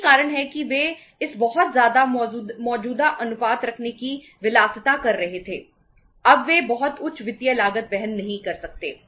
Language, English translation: Hindi, That is why they were having the luxury of keeping this much current ratios now they cannot afford to have the very high financial cost